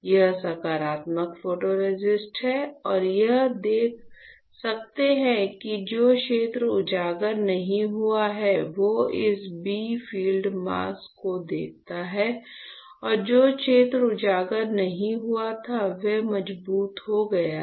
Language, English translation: Hindi, So, this is my positive photoresist correct, this is a positive photoresist and you can see that the area which is not exposed you see this bright field mask and the area which was not exposed got stronger